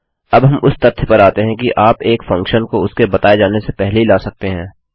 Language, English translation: Hindi, Now well move on to the fact that, you can call a function before its been defined